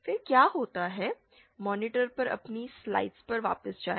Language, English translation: Hindi, So, let us go back to our slides on the monitor